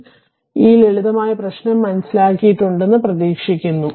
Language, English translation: Malayalam, So, this is I hope I hope you have understood ah this simple problem